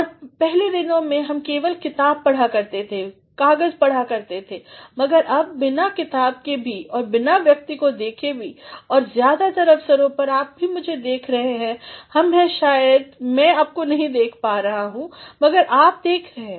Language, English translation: Hindi, And, in earlier days we used to simply read the books, read the papers, but now even without having a book or even without looking at the person and on most of the occasions you are also looking at me, we are maybe I am not looking at you, but you are looking at